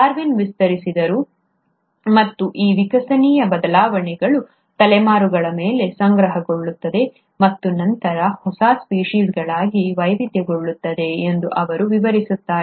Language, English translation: Kannada, Darwin extended and he explains that these evolutionary changes accumulate over generations and then diversify into a newer species